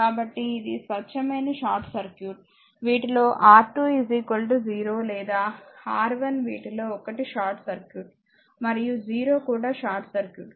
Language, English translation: Telugu, So, it is a pure short circuit, if you make either of this either this one R 2 is equal to 0 or R 1 is either of this you make short circuit, and both 0 also short circuit, right